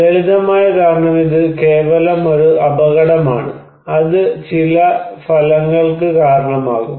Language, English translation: Malayalam, The simple reason is this is just simply a hazard which is potential to cause some effect